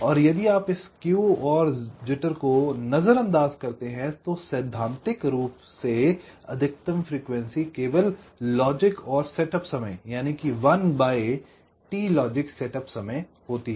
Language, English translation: Hindi, and if you ignore this skew and jitter, for the time been, theoretically the maximum frequency would have been just the logic and setup times, just one by t logic setup time